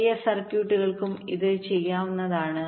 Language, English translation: Malayalam, it can be done for large circuits also